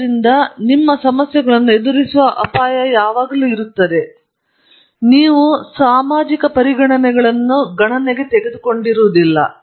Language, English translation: Kannada, So, there is always a risk of your running into problems, because you did not take these considerations into account